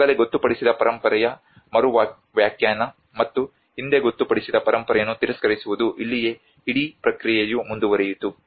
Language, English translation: Kannada, Re interpretation of already designated heritage and the rejection of previously designated heritage this is where the whole process went on